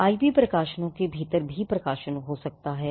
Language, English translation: Hindi, IP could most likely be within publications as well